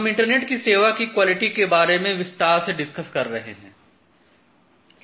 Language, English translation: Hindi, So, we are discussing about internet quality of service in details